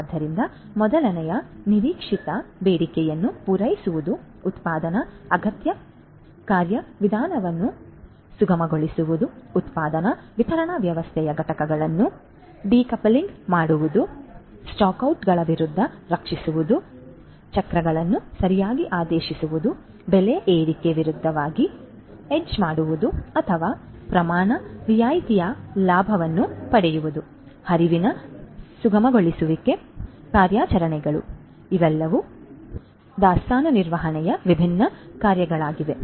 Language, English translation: Kannada, So, the first one is meeting the anticipated demand, smoothening the production requirement procedure, decoupling components of the production distribution system, protecting against stock outs, properly ordering the cycles, hedging against price increases or taking advantage of quantity discounts, smoothening the flow of operations, so all of these are different functions of inventory management